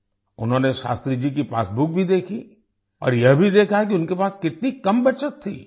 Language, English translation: Hindi, He also saw Shastri ji's passbook noticing how little savings he had